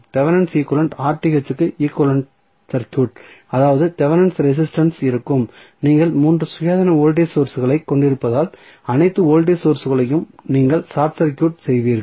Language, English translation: Tamil, So, for Thevenin equivalent the equivalent circuit for Rth that is Thevenin resistance would be you will short circuit all the voltage sources because they are you have 3 independent voltage sources